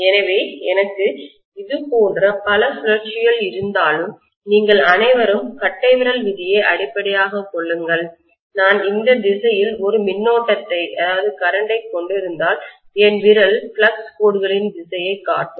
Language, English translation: Tamil, So if I have so many turns like this, all of you know that thumb rule basically that if I am having probably a current in this direction, my finger show direction of the flux lines